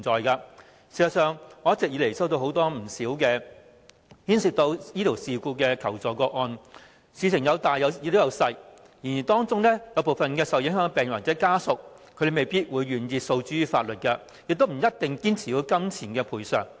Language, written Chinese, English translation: Cantonese, 事實上，我一直以來曾接獲不少牽涉醫療事故的求助個案，事情性質有輕有重，當中部分受影響病人或家屬未必願意訴諸法律，亦不一定堅持要有金錢賠償。, Actually I have received many requests for assistance regarding medical incidents . Some of these involve serious mistakes but others are just minor ones . Some affected patients or their family members may not always want to take any legal actions nor do they always demand any monetary compensation